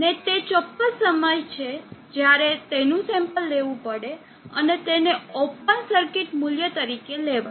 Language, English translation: Gujarati, And that is precisely the time when it has to be sampled and take as the open circuit value